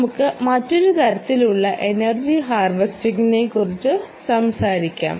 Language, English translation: Malayalam, let us know talk about another type of energy harvester, right, harvester